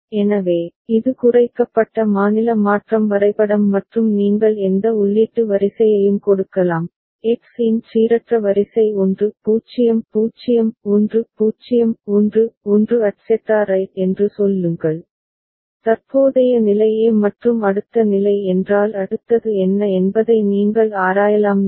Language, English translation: Tamil, So, this is the reduced state transition diagram and you can give any input sequence, random sequence of X say 1 0 0 1 0 1 1 etcetera right and you can examine if the current state is a and next state is what will be the next state